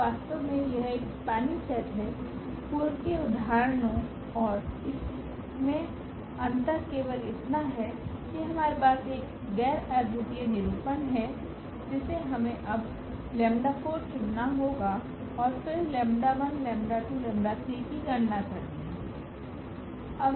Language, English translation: Hindi, So, indeed this is a spanning set the only difference from the earlier example to this example here is that that we have a non unique representation, that we have to choose now lambda 4 and then compute lambda 1 lambda 2 lambda 3